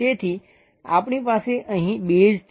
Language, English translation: Gujarati, So, we have a base here